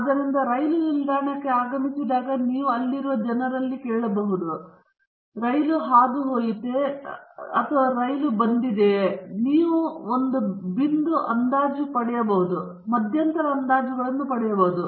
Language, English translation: Kannada, So, you might ask the people at what time the train arrives to the station and you may get either a point estimate or you may get interval estimates